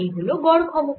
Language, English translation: Bengali, the average power